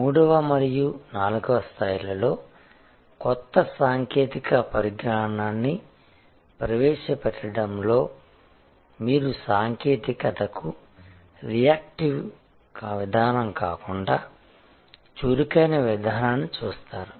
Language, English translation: Telugu, In introduction of new technology in these the 3rd and 4th level, you see a proactive approach rather than a reactive approach to technology